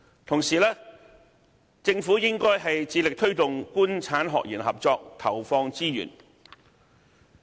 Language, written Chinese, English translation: Cantonese, 同時，政府應致力推動"官產學研"合作，為此投放資源。, At the same time the Government should allocate more resources to encourage the collaboration among the Government industry academia and research sectors